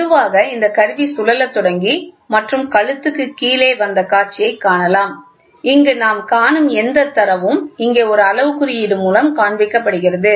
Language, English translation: Tamil, And slowly this instrument this display started rotating and the neck came down and this whatever data we see here is also seen as a graduation here